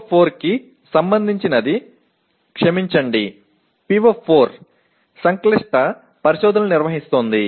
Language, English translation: Telugu, PO4 is related to, sorry PO4 is conducting complex investigations